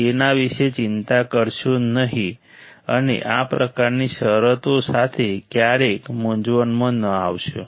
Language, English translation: Gujarati, Do not worry about it and never get confused with this kind of terms right